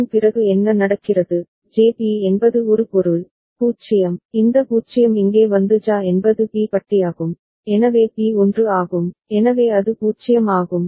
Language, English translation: Tamil, After that what happens, JB is A means, the 0, this 0 comes here and JA is B bar, so B is 1, so it is 0